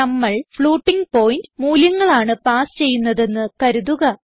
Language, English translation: Malayalam, Suppose if we pass floating point values